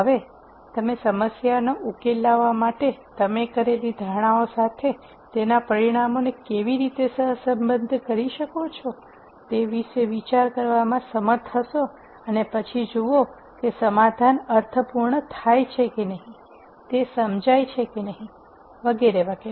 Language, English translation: Gujarati, So, you would be able to think about how you can correlate the results of whatever you have done to the assumptions you made to solve the problem and then see whether that makes sense whether the solution makes sense and so on